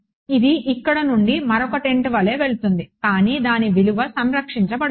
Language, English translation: Telugu, It will go from here like this right another tent over here, but its value along this will be conserved